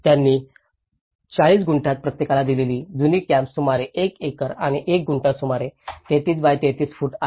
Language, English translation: Marathi, The old camp they have given about each in a 40 Gunthas is about 1 acre and 1 Guntha is about 33 by 33 feet